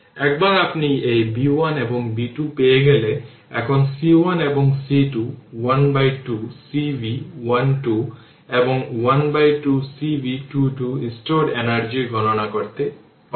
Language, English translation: Bengali, Once you get this b 1 and b 2, you know c 1 and c 2 you can calculate half c v 1 square and half cv 2 square the energy stored right